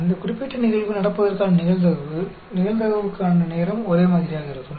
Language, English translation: Tamil, The probability of that particular event occurring, the time for the probability, is going to be the same